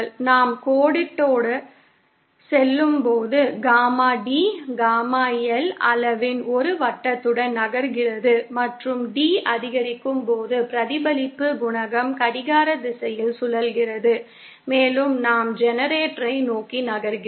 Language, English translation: Tamil, As we move along the line, Gamma D moves along a circle of radius Gamma L magnitude and the reflection coefficient rotates clockwise as D increases and we move towards the generator